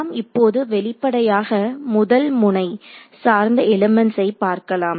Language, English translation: Tamil, So, now let us actually explicitly construct the first node based element